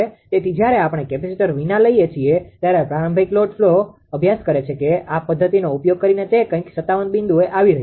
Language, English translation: Gujarati, So, when we are ah when we are taking without capacitor ah that that initial load studies that using this method it was coming 57 point something it was coming